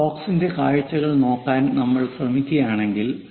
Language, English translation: Malayalam, If we are trying to look at what are the views of that box